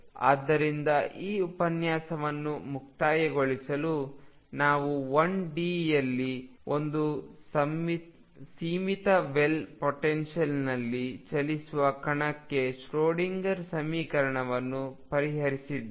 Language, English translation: Kannada, So, to conclude this lecture we have solved the Schrodinger equation for a particle moving in a finite well potential in one d